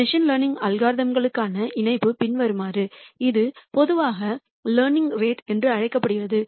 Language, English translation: Tamil, Connection to machine learning algorithms is the following this alpha is usually called as the learning rate